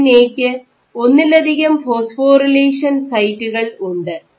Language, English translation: Malayalam, So, lamin A is known to have multiple phosphorylation sites